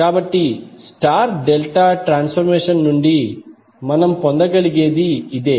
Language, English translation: Telugu, So this is what we can get from the star delta transformation